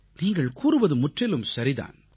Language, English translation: Tamil, You are absolutely right